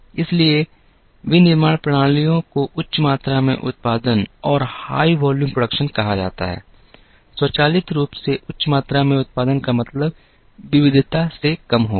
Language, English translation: Hindi, So, manufacturing systems moved towards what is called high volume production, automatically high volume production would mean less of variety